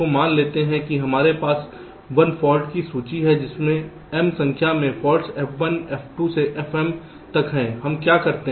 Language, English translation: Hindi, ok, so here suppose i have a fault list consisting of m number of faults: f one, f, two to m, f, m